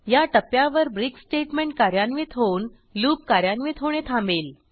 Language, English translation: Marathi, At this point, it will encounter the break statement and break out of the loop